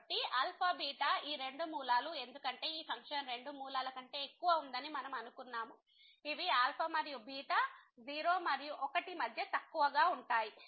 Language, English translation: Telugu, So, this alpha beta these two roots because, we have assume that this function has more than two roots so, these alpha and beta will be between less between 0 and 1